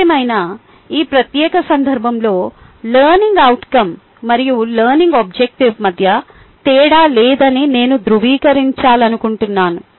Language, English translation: Telugu, however, in this particular context, i would like to confirm that there is no difference between learning objective and learning outcome